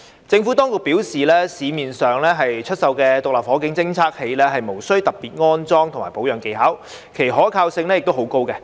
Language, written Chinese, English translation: Cantonese, 政府當局表示，市面上出售的獨立火警偵測器，無需特別的安裝及保養技巧，其可靠性亦很高。, The Administration advised that SFDs available in the market did not require special skills for installation and maintenance and were highly reliable